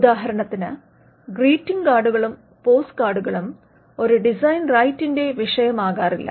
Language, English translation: Malayalam, For instance, greeting cards and postcards cannot be a subject matter of a design right